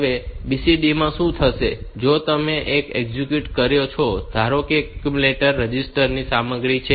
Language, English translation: Gujarati, Now, in BCD what we what will happen is that, if you execute, suppose this is the content of the accumulator register